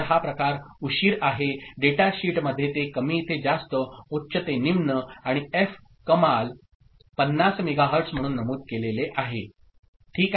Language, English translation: Marathi, So, this is the propagation delay, it has not been separated in the data sheet low to high, high to low and f max has been mentioned as 50 megahertz ok